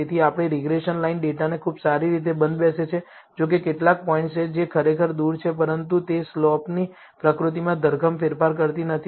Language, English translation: Gujarati, So, our regression line fits the data pretty well, though there are some points, which are really away, but it does not change the nature of the slope drastically